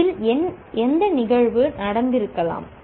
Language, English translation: Tamil, Which events could have happened in this